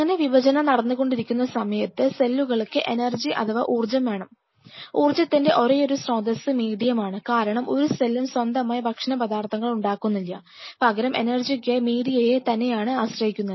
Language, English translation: Malayalam, Now on at this condition these cells which are dividing will need energy and it is only source of energy is in medium because none of these cells are synthesizing their own food material they are depending on the medium to supply them with energy